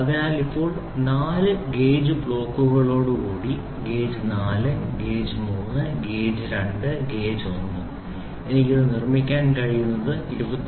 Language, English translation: Malayalam, So now with four gauge blocks so, gauge 4 gauge 3 gauge 2 and gauge 1 I could built a this is 23